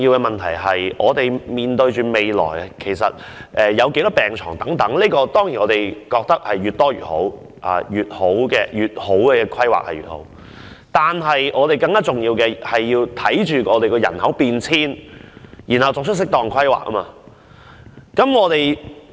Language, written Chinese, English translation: Cantonese, 面對未來有多少病床的問題，當然越多越好，規劃得越好，情況便越好，但更重要的是，要因應人口變遷作出適當規劃。, Regarding how many hospital beds should be provided in the future the answer is certainly the more the better . Better planning will bring a better future . More importantly we should make suitable planning based on the changes in population